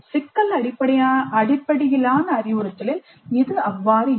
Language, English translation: Tamil, That is not so in problem based instruction